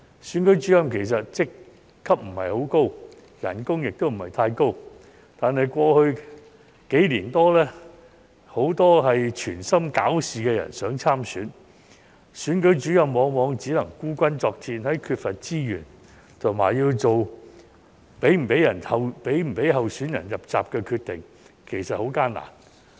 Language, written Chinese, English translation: Cantonese, 選舉主任職級不高，薪金亦不太高，但過去數年，很多存心搞事的人想參選，選舉主任往往只能孤軍作戰，在缺乏資源下，要作出是否讓候選人"入閘"的決定，其實很艱難。, Returning Officers are not high - ranking and their salaries are not that high but in the past few years they often had to fight alone against so many people who were intent on stirring up trouble while seeking to stand for election . Due to the lack of resources it was very difficult to make a decision on the eligibility of a candidate